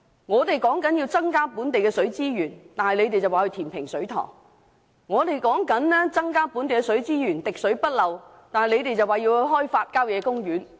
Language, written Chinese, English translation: Cantonese, 我們建議增加本地的水資源，他們卻建議填平水塘；我們建議收集更多本地水資源，做到滴水不漏，他們卻建議開發郊野公園。, When we propose to provide more supply channels for local water resources the Government suggests to fill up a reservoir; and when we propose to expand the collection network of local water resources so that not even a single drop of water will be wasted the Government suggests to develop country parks